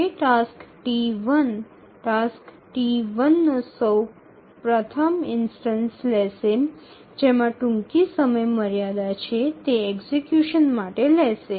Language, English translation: Gujarati, So, it will take the task T1, the first instance of task T1 which has the earliest deadline it will take that up for execution